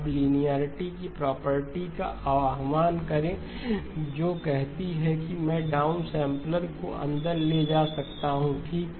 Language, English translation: Hindi, Now invoke the property of linearity which says that I can take the down sampler inside okay